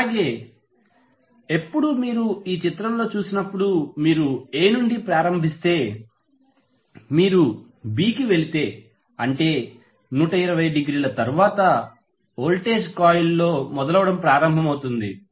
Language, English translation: Telugu, So, when, when you see in this figure if you start from A then if you move to B that means that after 120 degree the voltage will start building up in the coil